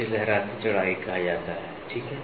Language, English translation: Hindi, This is called as a waviness width, ok